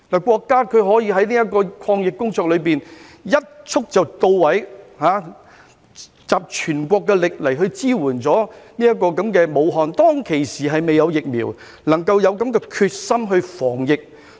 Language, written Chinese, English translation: Cantonese, 國家可以在抗疫工作中一蹴而就，集全國之力支援武漢，當時雖然還未有疫苗，但卻有這種決心防疫。, The country achieved success in its anti - epidemic work in one go by pooling the efforts of the entire country to support Wuhan . Although vaccines were not yet available at that time the country was determined to fight the epidemic